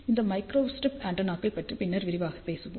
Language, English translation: Tamil, We will talk in detail about these microstrip antennas latter on